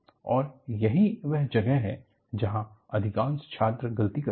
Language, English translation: Hindi, See, this is where, many students make a mistake